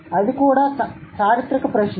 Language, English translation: Telugu, So, that is also a historical question